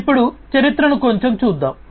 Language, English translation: Telugu, So, let us now go through the history a bit